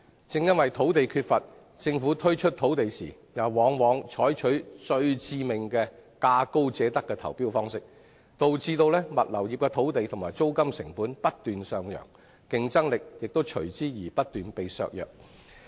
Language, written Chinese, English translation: Cantonese, 即使土地缺乏，政府推出土地時卻往往採取最致命的價高者得投標方式，導致物流業的土地及租金成本不斷上揚，競爭力亦因而不斷削弱。, Despite the lack of land the Government has often awarded sites to the highest bidders in tendering processes which is the most fatal practice contributing to continued rise in land and rental costs . As a result the competitiveness of the industry has been constantly weakened